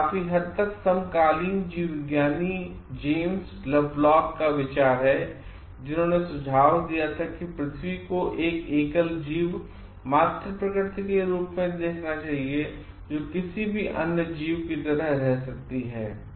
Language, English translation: Hindi, It is largely the idea of contemporary biologist James Lovelock who suggested that earth should be viewed as a single organism, Mother nature which leaves like any other organism